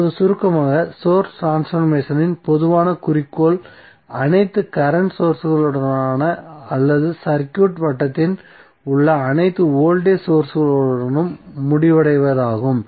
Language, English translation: Tamil, Now in summary what we can say that the common goal of the source transformation is to end of with either all current sources or all voltage sources in the circuit